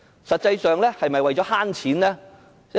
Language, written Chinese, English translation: Cantonese, 實際上，是否為了省錢呢？, As a matter of fact is it meant to make savings?